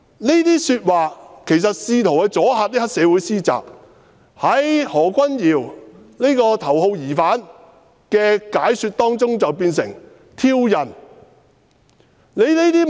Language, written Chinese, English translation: Cantonese, "這些話其實只是試圖阻嚇黑社會分子施襲，但經何君堯議員這名頭號疑犯解說後，便變成挑釁。, I said those words with the actual intent to stop the triad members from attacking people . Yet after the interpretation of the top suspect Dr Junius HO it turned out that I provoked the attack